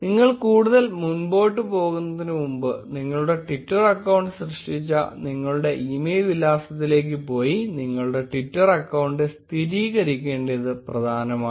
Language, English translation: Malayalam, Before you proceed any further, it is important that you confirm your Twitter account by going to your email address using which you create created the twitter account